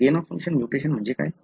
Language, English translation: Marathi, What do you meanby gain of function mutation